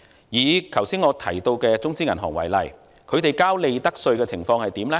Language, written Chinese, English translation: Cantonese, 以我剛才提到的中資銀行為例，他們繳交利得稅的情況如何呢？, Take the Chinese banks that I have just mentioned as examples . What does the picture of their profits tax payments look like?